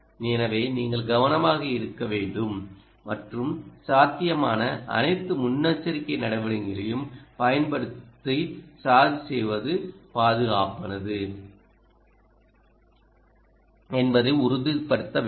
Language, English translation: Tamil, so you have to take care and use all possible precautions to ensure that ah the charging is safe